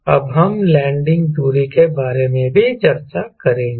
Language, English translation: Hindi, we will also discuss about so landing distance